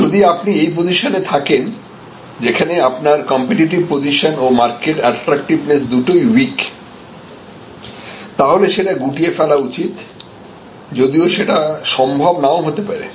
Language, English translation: Bengali, On the other hand, if you are here that your competitive position is rather week and your market attractiveness is also weak this is a market, which is better to get out of, but may be you cannot get out of it